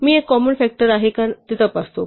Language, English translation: Marathi, We check if i is a common factor